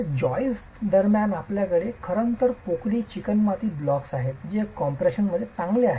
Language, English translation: Marathi, Between these joists you actually have hollow clay blocks which are good in compression